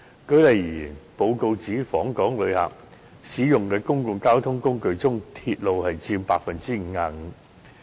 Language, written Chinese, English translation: Cantonese, 舉例而言，該報告指出訪港旅客使用的眾多公共交通工具中，鐵路佔 55%。, For example the report stated that among various public transport modes used by inbound tourists railway accounted for 55 % of the share